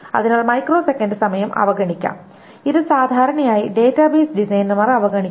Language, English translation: Malayalam, So the microseconds time can be ignored and it is generally ignored by the database designers